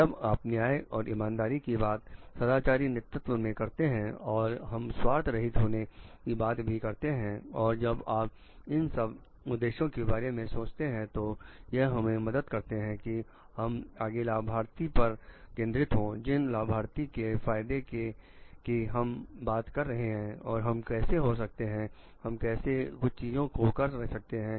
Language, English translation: Hindi, When you are talking of justice and fairness in the moral leadership and we are talking of being selfless also while you are thinking of these objectives will help us to focus on forth under beneficiaries for whose beneficial benefit are we talking of and how we can be how we can do certain things